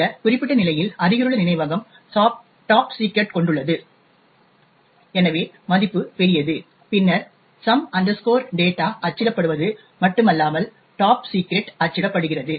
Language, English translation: Tamil, In this particular case the adjacent memory contains top secret, so the value of len is large then not only is some data printed but also top secret has printed on the